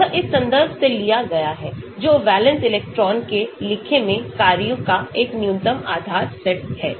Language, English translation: Hindi, This is taken from this reference, a minimum basis set of functions to account for valence electrons